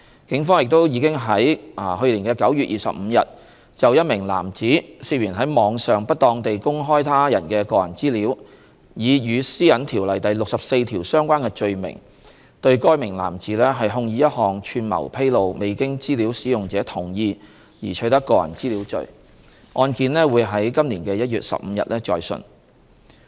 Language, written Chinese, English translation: Cantonese, 警方亦已於2019年9月25日就一名男子涉嫌於網上不當地公開他人的個人資料，以與《私隱條例》第64條相關的罪名對該名男子控以一項"串謀披露未經資料使用者同意而取得個人資料"罪，案件將於2020年1月15日再訊。, On 25 September 2019 a man was charged with an offence relating to conspiracy to disclosing personal data obtained without data users consent under section 64 of PDPO for alleged improper disclosure of the personal data of other individuals on the Internet . The case will be heard again by the Court on 15 January 2020